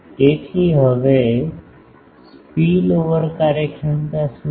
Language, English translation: Gujarati, So, what is spillover efficiency now